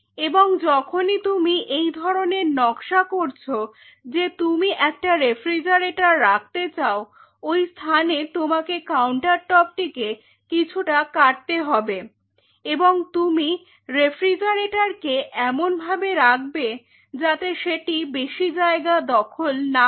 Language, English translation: Bengali, And whenever you design that you want to place a refrigerator you can have this part the countertop may be cut at that point and you can place the refrigerator in such a way that you are not conceiving that space